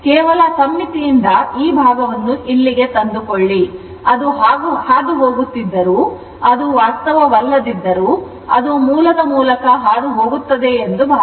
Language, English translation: Kannada, Just just from the symmetry you bring this ah bring this portion to here as if as if it is passing although reality it is not, but as if it is passing through the origin right